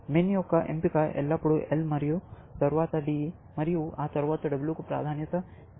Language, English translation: Telugu, Min’s choice is always, prefer the L and then, D, and then, W